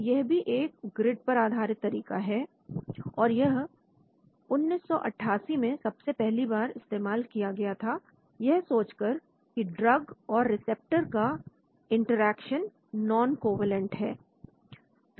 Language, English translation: Hindi, so this is also a grid based technique and this was introduced in 1988 on the assumption that there will be drug receptor interactions are noncovalent